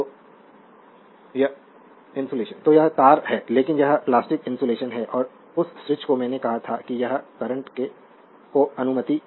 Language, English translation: Hindi, So, this wire is there, but it is your plastic insulation right and that switch I told you it will allow this allow the current